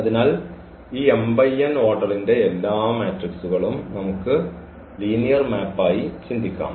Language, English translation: Malayalam, So, all matrices of order this m cross n we can think as linear map